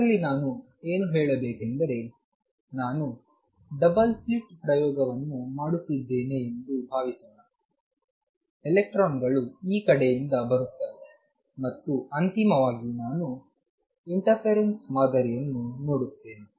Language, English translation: Kannada, What I mean to say in this is suppose I am doing a double slit experiment, with electrons coming from this side and finally, I see an interference pattern